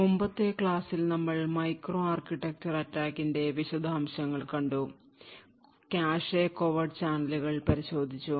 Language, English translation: Malayalam, In the previous lecture we got in details to microarchitecture attacks and we looked at cache covert channels